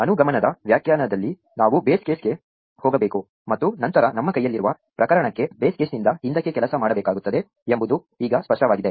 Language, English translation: Kannada, Now it is very clear that in an inductive definition, we need to get to the base case and then work ourselves backwards up from the base case, to the case we have at hand